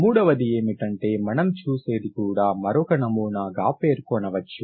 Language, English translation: Telugu, Third, what you see is also one more pattern